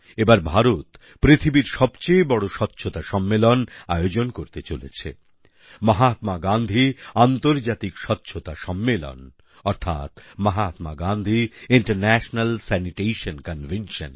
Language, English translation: Bengali, This time India is hosting the biggest Sanitation Convention of the world so far, the Mahatma Gandhi International Sanitation Convention